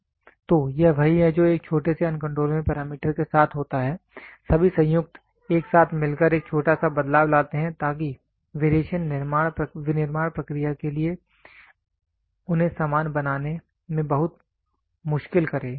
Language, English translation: Hindi, So, this is what with a small uncontrollable parameter, all joint together to form to bring in a small variation, so that variation makes it very difficult for manufacturing process to make them identical